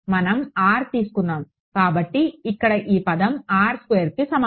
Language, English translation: Telugu, So, this term over here is equal to R square